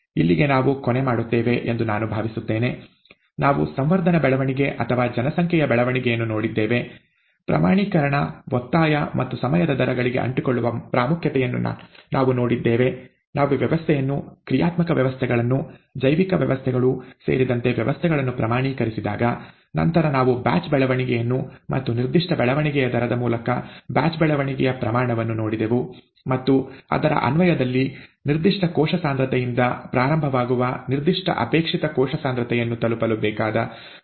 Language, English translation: Kannada, I think that is where we will sign off here, , we have seen culture growth or population growth, we have seen the need for quantification, insistence and the importance of sticking to time rates in trying to, when, when we quantify systems, dynamic systems, including biological systems, that is a cell, and then we looked at batch growth and quantification of batch growth through specific growth rate and in application of that, to find out the time that is required to reach a certain desired cell concentration starting from a certain cell concentration